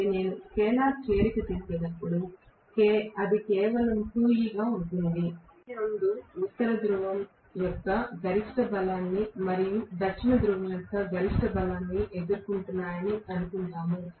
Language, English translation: Telugu, So, when I do the scalar addition, it is going to be simply 2E, assuming that both of them are facing the maximum strength of North Pole and maximum strength of South Pole